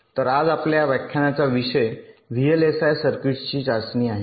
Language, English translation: Marathi, ok, so the topic of our lecture today is testing of vlsi circuits